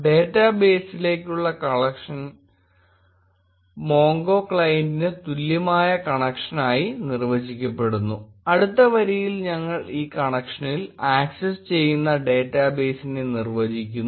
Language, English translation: Malayalam, Connection to the database is defined by connection equal to MongoClient, and in the next line we define the database which we will be accessing in this connection